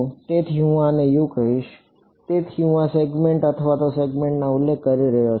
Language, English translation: Gujarati, So, I will call this over here U so, I am referring to this segment or this segment right